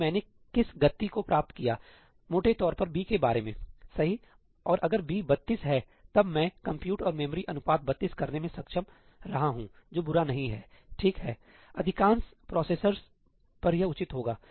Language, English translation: Hindi, So, what kind of speed up have I achieved roughly about b, right, and if b is 32, then I have been able to achieve a compute to memory ratio of 32 which is not bad, right; on most processors it would be reasonable